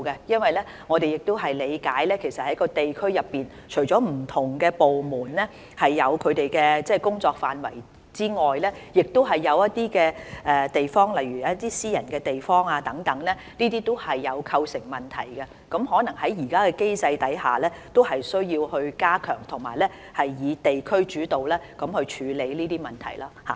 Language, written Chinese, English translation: Cantonese, 因為據我們理解，在地區上，除了不同部門有他們負責的工作範圍外，另一些地點，例如私人的地方等，都會構成問題，而在現時的機制下，有可能需要加強及以地區主導的方式來處理這些問題。, According to my understanding on district level various departments are responsible for their respective scope of duties . In addition as to some other private premises they will pose certain problems to the operations . Under the existing mechanism perhaps we may need to strengthen the district - led approach to deal with such problems